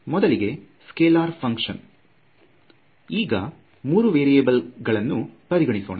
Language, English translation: Kannada, Scalar function and let us say it is of three variables